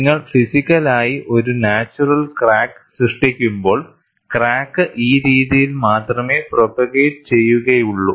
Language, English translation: Malayalam, When you physically produce a natural crack, the crack would propagate only in this fashion